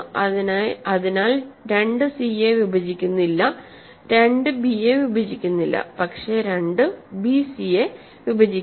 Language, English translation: Malayalam, So, 2 does not divide c, 2 does not divide b, but 2 divides bc